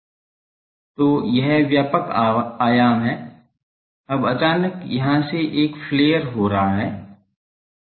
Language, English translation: Hindi, So, it is broader dimension a now suddenly from here it is getting flared